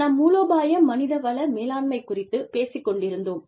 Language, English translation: Tamil, We have been talking about, strategic human resource management